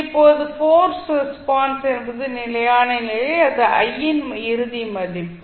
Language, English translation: Tamil, Now forced response is the steady state or the final value of i